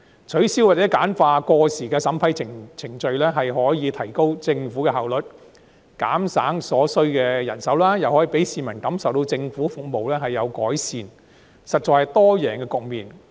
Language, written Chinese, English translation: Cantonese, 取消或簡化過時的審批程序，可以提高政府效率，減省所需人手，亦可讓市民感受到政府服務有所改善，實在是多贏局面。, Eliminating or streamlining outdated approval procedures will enhance the Governments efficiency reduce manpower requirement and induce a feeling among the public that government services have improved which is actually a multi - win situation